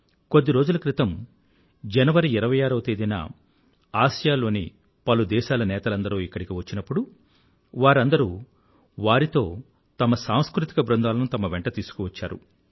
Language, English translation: Telugu, A while ago, when distinguished dignitaries of all ASEAN Countries were here on the 26th of January, they were accompanied by cultural troupes from their respective countries